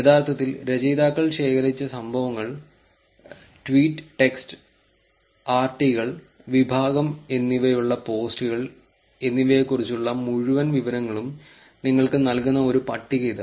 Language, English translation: Malayalam, Here is a table which actually gives you the full details about the events that authors actually collected, posts that they had which is tweet text, RTs and category